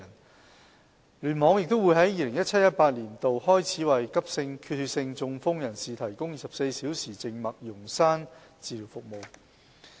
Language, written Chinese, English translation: Cantonese, 九龍東聯網亦會在 2017-2018 年度開始為急性缺血性中風人士提供24小時靜脈溶栓治療服務。, From 2017 - 2018 onwards KEC will also provide 24 - hour emergency intravenous thrombolytic therapy for acute ischaemic stroke patients